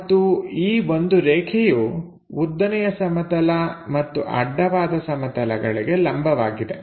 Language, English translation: Kannada, And this is a line perpendicular to both vertical plane and horizontal plane